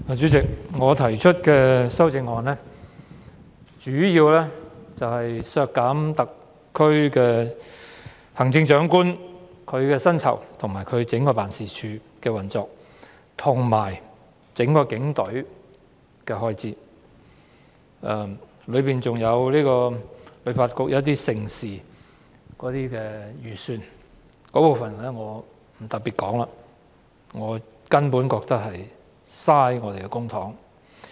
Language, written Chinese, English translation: Cantonese, 主席，我提出的修正案，主要是削減行政長官的薪酬及其辦公室的運作開支，以及整個警隊的預算開支，當中還包括香港旅遊發展局舉辦的一些盛事的預算開支，但這部分我不特別談論，我覺得根本是浪費公帑。, Chairman my amendments mainly seek to reduce the emolument of the Chief Executive and the operational expenditure for the Chief Executives Office as well as the estimated expenditure for the entire Police Force . My amendments also include reducing the estimated expenditure for the Hong Kong Tourism Board to hold mega events but I will not discuss this part in detail as I think it is a sheer waste of public money